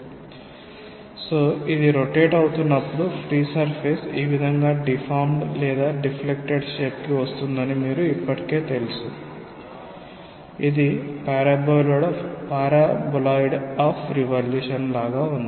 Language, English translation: Telugu, So, when it is rotated, you already know it that it will come to its free surface we will come to a deformed or deflected shape like this which is a paraboloid of revolution